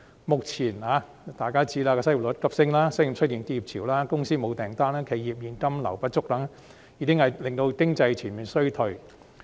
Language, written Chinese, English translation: Cantonese, 目前，失業率急升、商店出現結業潮、公司沒有訂單、企業現金流不足等，已經令經濟全面衰退。, Nowadays soaring unemployment rate a wave of business closures lack of orders for firms and cashflow problems of enterprises have dragged our economy into a full recession